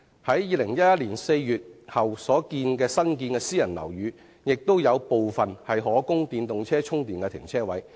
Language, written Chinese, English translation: Cantonese, 在2011年4月後新建的私人樓宇，亦有部分提供電動車充電停車位。, Some private buildings completed after April 2011 indeed provide parking spaces with charging facilities for EVs